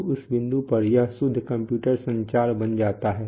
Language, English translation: Hindi, That, so at that point it becomes pure computer communication